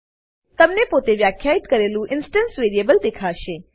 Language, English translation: Gujarati, You will see the instance variable you defined